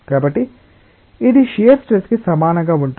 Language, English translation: Telugu, So, this is identically equal to shear stress